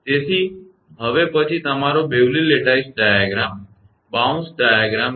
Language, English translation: Gujarati, Now, next one is that your Bewley Lattice diagram, a bounce diagram